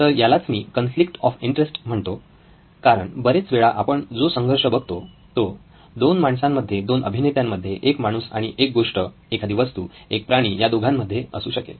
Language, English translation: Marathi, So I am calling it the conflict of interest because lots of times the conflict that we see is between 2 humans, human actors or between a human and a thing, an object, an animal, I don’t know